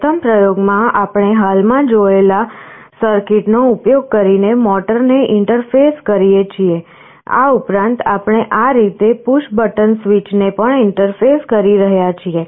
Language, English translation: Gujarati, In the first experiment, we interface the motor using the circuit that you have just now seen; in addition, we are also interfacing a push button switch like this